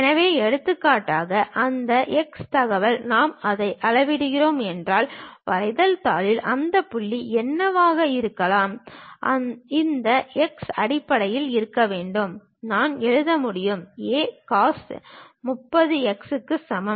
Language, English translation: Tamil, So, for example, that x information if I am measuring it; what might be that point on the drawing sheet, this x can be in terms of, I can write it A cos 30 is equal to x